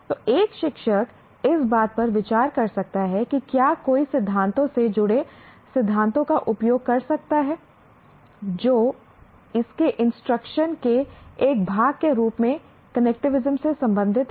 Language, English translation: Hindi, So a teacher can consider whether one can use principles related to theories related to connectivism as a part of his instruction